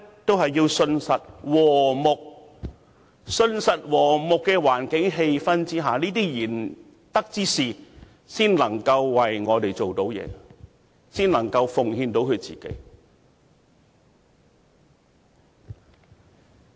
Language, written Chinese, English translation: Cantonese, 只有在信實和睦的環境氣氛下，賢德之士才能為我們做事，才能奉獻自己。, Only in a sincere and harmonious environment or atmosphere can virtuous people devote themselves to working for us